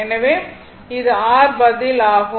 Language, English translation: Tamil, So, r is equal to 0